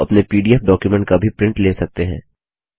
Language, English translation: Hindi, You can also take a print out of your pdf document